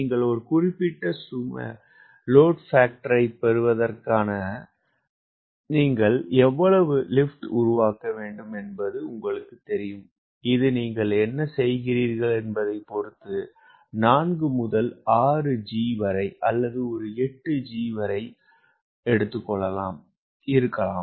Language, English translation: Tamil, you know you have to generate that much of lift so that you get a particular load factor, and this could be four to six g or eight g, depending upon what you are doing